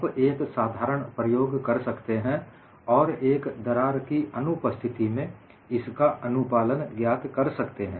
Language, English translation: Hindi, You can simply perform an experiment and find out the compliance in the presence of a crack